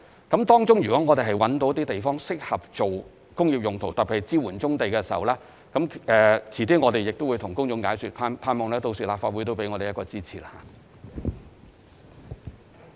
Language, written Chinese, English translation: Cantonese, 如果我們在該等地區覓得地方適合作工業用途，特別是支援棕地作業，我們會向公眾解說，希望立法會屆時會予以支持。, If we are able to identify any sites within those regions that are suitable for industrial uses especially for supporting brownfield operations we will explain the details to the public and we hope that the Legislative Council can render its support by that time